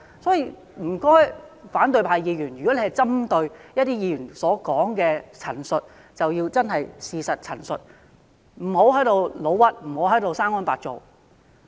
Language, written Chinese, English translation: Cantonese, 所以，請反對派議員如果針對其他議員所作的陳述，便真的要針對事實陳述，不要誣衊及"生安白造"。, Therefore when Members from the opposition camp are making comments on other Members they really have to make comments with factual basis instead of vilifying or slandering